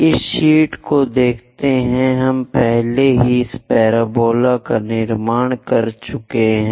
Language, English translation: Hindi, Let us look at this sheet; we have already constructed the parabola this one